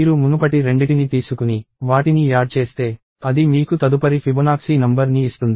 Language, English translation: Telugu, You take the previous 2, add them and that gives you the next Fibonacci number